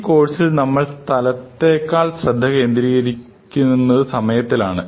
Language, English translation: Malayalam, But essentially, for this course we will be focusing on time more than space